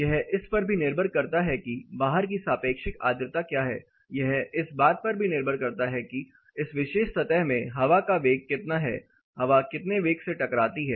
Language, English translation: Hindi, It also depends on what is the relative humidity outside; it also depends on, how much air velocity, how much velocity of air is impinging in this particular surface